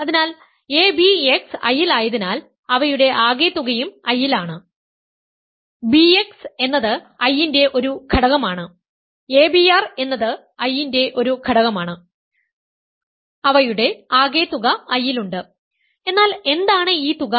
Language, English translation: Malayalam, So, abx is in I, abr is in I though, hence their sum is in I right, bx is an element of I, abr is an element of I their sum is in I, but what is this sum